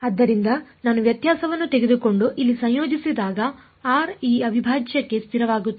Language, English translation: Kannada, So, when I took the difference and integrated over here r is constant for this integral